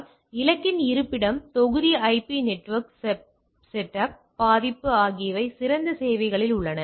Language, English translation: Tamil, So, location of the target, block IP, network setup, vulnerability is in open services